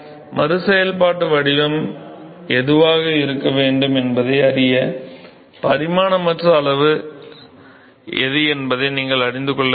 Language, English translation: Tamil, So, in order to know what should be re functional form, you need to know what is dimensionless quantities are alright